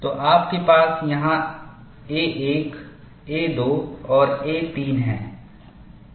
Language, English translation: Hindi, So, you have this as a 1, a 2 and a 3